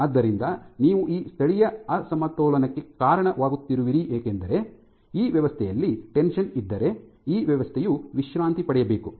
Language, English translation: Kannada, So, you are causing this localized imbalance of forces because of which if there was tension in the system, this system should relax